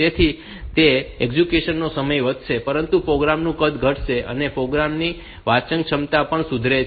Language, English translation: Gujarati, So, that way the execution time will increase, but the size of the program reduces the readability of the program improves